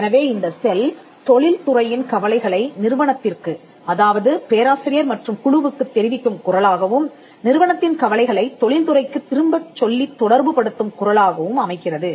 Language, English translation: Tamil, So, this becomes the voice through which the industries concerns are relate to the institute that the professor and the team and the institutes concern are relate back to the industry